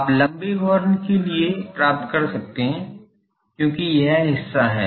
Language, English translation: Hindi, For long horns you can get because this part is ok